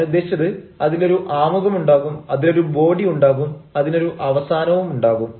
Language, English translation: Malayalam, i mean, it will have an introduction, it will have a body, it will have a close